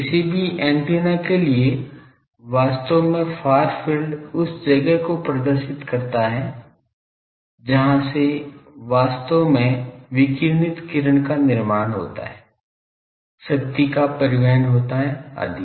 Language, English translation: Hindi, For any antenna actually far field represent the place from where actually the beam radiated beam is formed, the power is transported etc